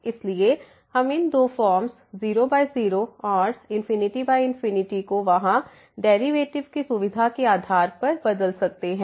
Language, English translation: Hindi, So, we can interchange these two forms 0 by 0 and infinity by infinity depending on the convenience of the derivative there